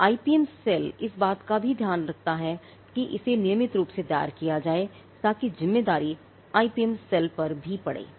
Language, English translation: Hindi, So, the IPM cell also takes care of that, it has to be regularly filed, so that responsibility falls on the IPM cell as well